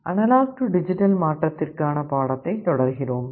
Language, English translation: Tamil, We continue with the discussion on Analog to Digital Conversion